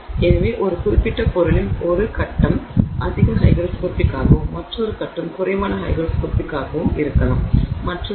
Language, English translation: Tamil, So, one phase of a particular material may be more hygroscopic, one another phase may be less hygroscopic and so on